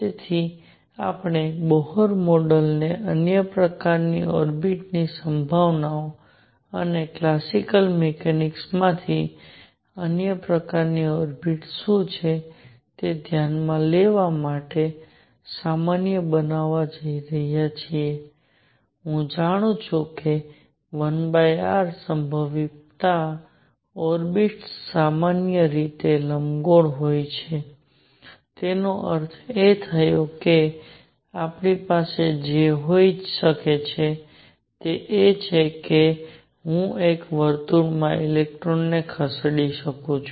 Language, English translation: Gujarati, So, we are going to generalize Bohr model to considered possibilities of other kinds of orbits and what are the other kinds of orbits from classical mechanics I know that in a one over r potential the orbits are elliptical in general; that means, what I can have is I can have an electron moving in a circle